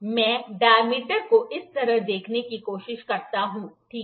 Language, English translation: Hindi, I try to see the diameter like this, ok